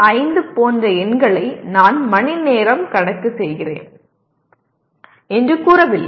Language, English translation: Tamil, 5 credit saying that I am doing it for 3 hours